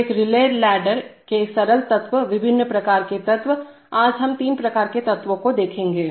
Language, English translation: Hindi, So the simple elements of a relay ladder, today we will look at, there are various kinds of elements, today we will look at three kinds of elements